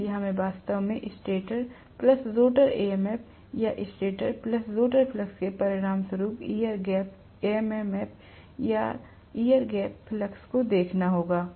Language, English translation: Hindi, So we have to actually look at the air gap MMF or air gap flux as a resultant of stator plus rotor MMF or stator plus rotor fluxes